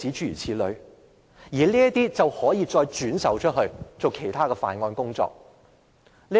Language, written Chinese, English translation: Cantonese, 然後，這些資料便可以再轉售作其他犯案工作。, Such data could then be resold for other illegal purposes